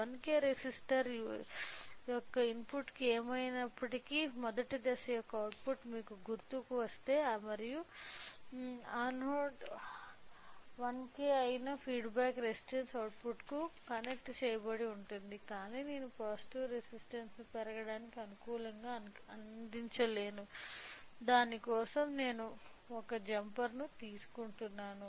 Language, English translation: Telugu, So, if you recall the output of the first stage anyway have been provided with the to the input of 1K resistor and the feedback resistance which is also another 1K is connected to the output, but we have not provided the positive terminal to grow so, I will take another jumper